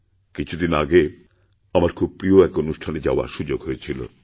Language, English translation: Bengali, Recently, I had the opportunity to go to one of my favorite events